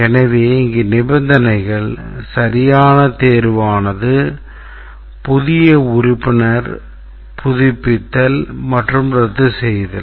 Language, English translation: Tamil, So, if it is the conditions are whether it is a valid selection, new member, it's a renewal or a cancellation